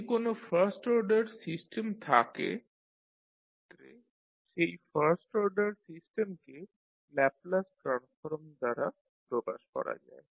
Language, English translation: Bengali, Now, if we have a first order system then in that case the first order system can be represented by the Laplace transform